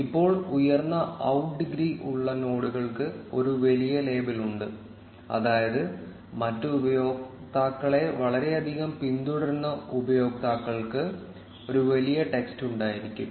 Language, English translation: Malayalam, Now the nodes which have higher out degree have a larger label which means that users who are following other users a lot will have a larger text